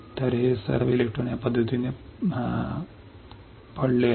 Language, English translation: Marathi, So, these are all electrons lying in this fashion